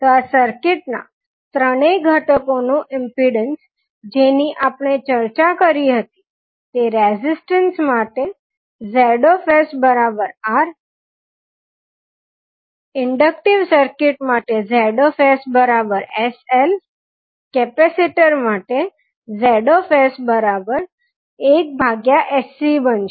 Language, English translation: Gujarati, So the impedance of these three circuit elements which we discussed will become Zs for the resistance will be only R, for inductive it will be Zs is equals to sL, for capacitor the Zs it would be 1 upon sC